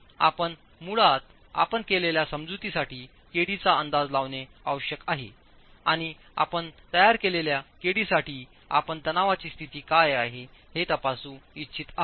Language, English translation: Marathi, So you basically need to estimate kd for the assumptions that you have made and for the kd that you establish you want to check what the state of stresses are